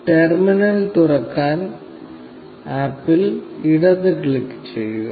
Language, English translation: Malayalam, Left click on the app to open the terminal